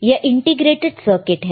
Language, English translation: Hindi, This is the integrated circuit, right